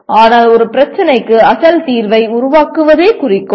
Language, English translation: Tamil, But the goal is to create an original solution for a problem